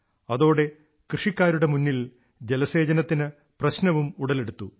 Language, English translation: Malayalam, Due to this, problems in irrigation had also arisen for the farmers